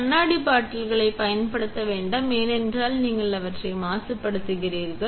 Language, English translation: Tamil, Never use the glass bottles because then you contaminate them